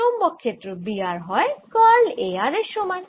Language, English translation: Bengali, the magnetic field, b r is given as curl of a r